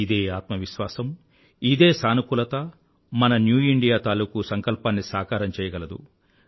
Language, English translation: Telugu, This self confidence, this very positivity will by a catalyst in realising our resolve of New India, of making our dream come true